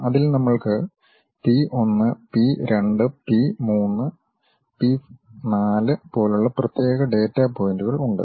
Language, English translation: Malayalam, In that, we have particular data points like P 1, P 2, P 3, P 4